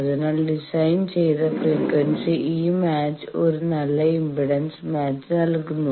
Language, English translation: Malayalam, So, at design frequency this match gives a good impedance match